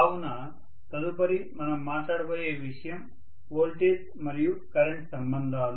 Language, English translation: Telugu, So the next thing that we will be talking about is voltage and current relationships